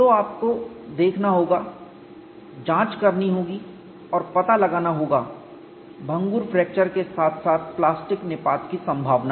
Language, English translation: Hindi, So, you have to look at, investigate and find out brittle fracture as well as possibility of plastic collapse